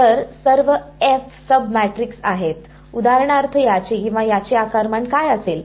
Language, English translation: Marathi, So F are all sub matrices, F A A are sub matrices what will be the size of for example this or this